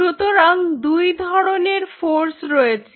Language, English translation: Bengali, so there are two forces here